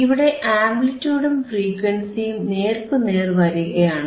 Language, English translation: Malayalam, Thereis is an amplitude versus frequency